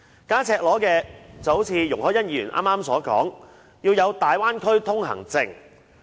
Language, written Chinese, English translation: Cantonese, 更加赤裸的便有如容海恩議員剛才所說，要發出大灣區通行證。, A suggestion was even made more frankly just now by Ms YUNG Hoi - yan to urge for the issuance of an exit - entry permit for travelling to and from the Bay Area